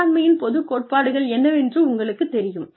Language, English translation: Tamil, You know, the general principles of management